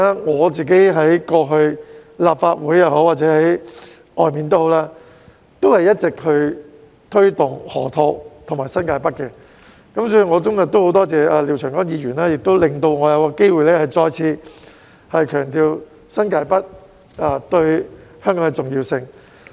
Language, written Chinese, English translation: Cantonese, 我過去在立法會或外界也一直推動河套和新界北發展，所以我今天很多謝廖長江議員，讓我有機會再次強調新界北對香港的重要性。, I have been promoting the development of the Loop and New Territories North both inside and outside the Legislative Council in the past I am thus very thankful to Mr Martin LIAO today for allowing me to have a chance to stress once again the importance of New Territories North to Hong Kong